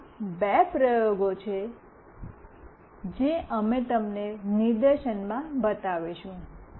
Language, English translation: Gujarati, These are the two experiments that we will be showing you in the demonstration